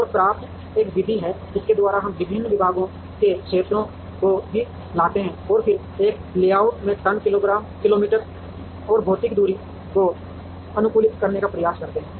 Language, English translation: Hindi, And CRAFT is a method by which, we also bring the areas of the various departments and then try to optimize the ton kilometer or material distance in a layout